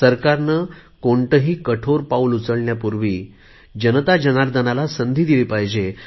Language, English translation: Marathi, Before taking any extreme steps, the government must give a chance to the people